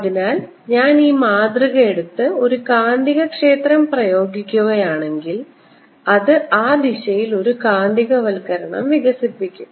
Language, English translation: Malayalam, so if i take this sample, apply a magnetic field, it'll develop a magnetization in that direction